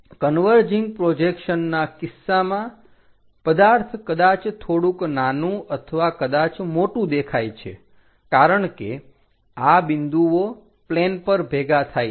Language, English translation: Gujarati, In the case of converging projections, the objects may look small may look large because this points are going to converge on to a plane